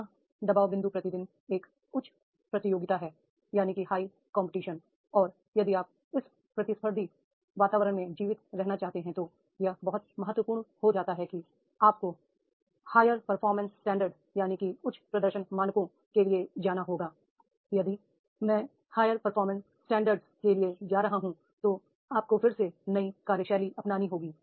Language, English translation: Hindi, Next pressure point is day by day there is a high competition and if you want to survive in this competitive environment it becomes very important that is you have to go for the higher performance standards